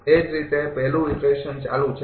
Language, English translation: Gujarati, Similarly, first iteration is continuing